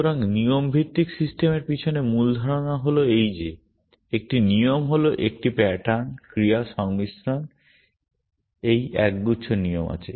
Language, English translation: Bengali, So, the basic idea behind rule based systems is this that a rule is a pattern, action, combination, there is a collection of rules